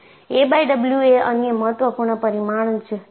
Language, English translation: Gujarati, So, a by W is another important parameter